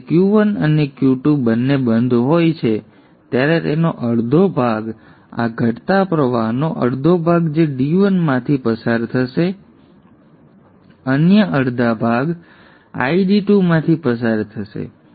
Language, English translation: Gujarati, Now when both Q1 and Q2 are off, it is half of this falling current which will flow through ID1, the other half will flow through ID2